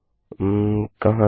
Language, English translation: Hindi, where is it